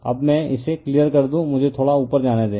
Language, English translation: Hindi, Now, let me clear it let me move little bit up right